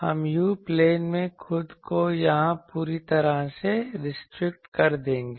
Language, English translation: Hindi, We will completely restrict ourselves here in the u plane